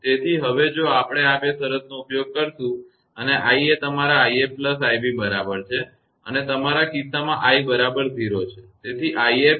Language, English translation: Gujarati, So, if we use these two condition and i is equal to your i f plus i b and in that your case your i is equal to 0